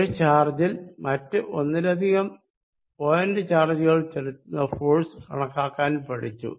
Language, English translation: Malayalam, How calculate force on a given charge due to more than one point charge